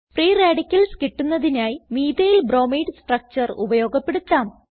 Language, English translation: Malayalam, Lets use the Methylbromide structure to obtain free radicals